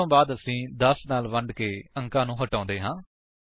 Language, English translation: Punjabi, After that we remove the digit by dividing by 10